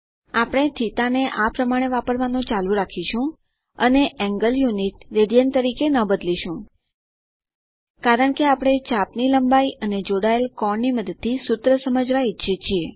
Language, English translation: Gujarati, We will continue to use θ like this and not change the angle unit as radians, because we want to illustrate a formula using the arc length and angle subtended